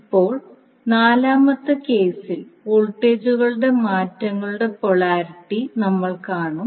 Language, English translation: Malayalam, Now, in the 4th case, you will see the polarity for voltages change